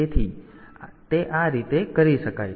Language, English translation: Gujarati, So, it can be done in this fashion